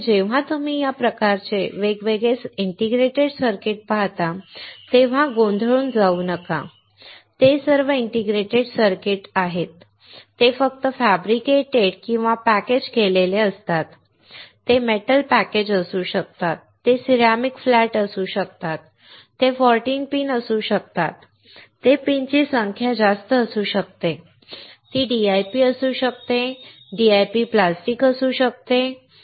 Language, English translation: Marathi, So, when you come across this kind of different indicator circuit do not get confused, they are all integrated circuits its only way they are fabricated or packaged, it can be metal package, it can be ceramic flat, it can be 14 pin, it can be more number of pins, it can be DIP it can be DIP plastic, right